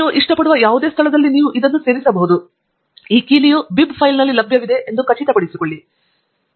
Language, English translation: Kannada, You can insert these at any location that you like; only make sure that this key is available in the bib file